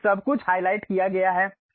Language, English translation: Hindi, So, everything is highlighted